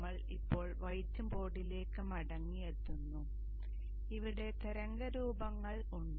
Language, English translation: Malayalam, We are now back again to the white board where we have the waveforms